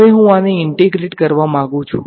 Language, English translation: Gujarati, Now, I want to integrate this